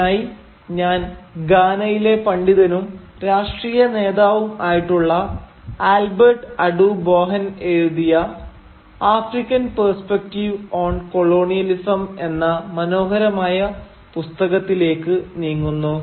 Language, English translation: Malayalam, And for this, I turn to this wonderful book titled African Perspectives on Colonialism which was written by the Ghanaian academician and political leader Albert Adu Boahen